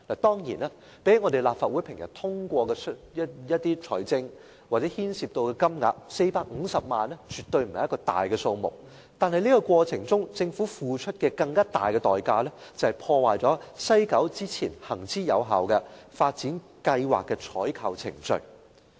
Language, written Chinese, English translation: Cantonese, 當然，相比立法會平常通過的撥款申請涉及的金額 ，450 萬元絕對不是一個大數目，但在這個過程中，政府付出了一個更大的代價，便是破壞了西九發展計劃行之有效的採購程序。, Of course when compared with the amount involved in the funding applications approved by the Legislative Council 4.5 million is certainly not a large amount but the Government had paid a higher price of disrupting the long - standing effective procurement process of the WKCD project